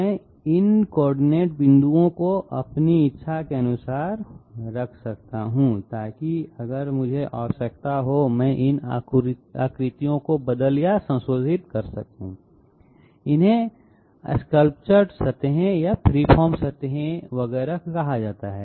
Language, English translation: Hindi, And I can place these coordinate points as I desire so that I can change or modify these shapes if so require these are also called sculptured surfaces, free form surfaces, et cetera